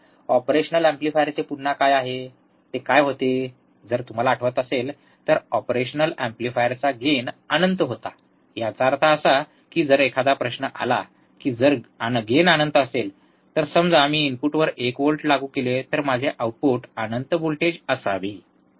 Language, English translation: Marathi, What is the again of the operational amplifier, what was that if you remember, the gain of an operational amplifier was in finite; that means, that if then a question comes that, if the gain is infinite, if the gain is infinite then if I apply 1 volts at the input, if I apply one volt at the input, then my output should be infinite voltages, right isn't it